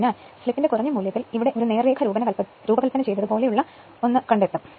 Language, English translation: Malayalam, So, at the low value of slip you will see this region you will find something like a a straight line design right